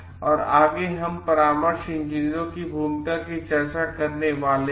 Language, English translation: Hindi, And next we are going to discuss about a role of consulting engineers